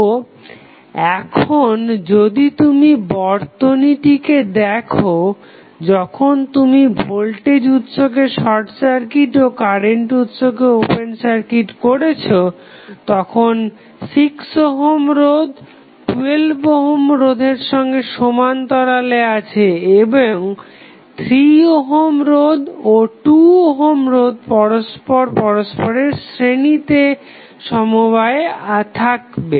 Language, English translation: Bengali, So, now, if you see the circuit, when you short circuit the voltage source, open circuit the current source 6 ohm resistance would be in parallel with 12 ohm and these 3 ohm and 2 ohm resistance would be in series